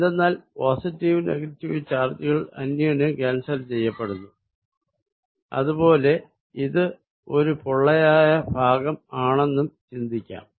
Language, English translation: Malayalam, Because, positive and negative charges cancel, equivalently you can also think of this as being hollow, because electrically it does not matter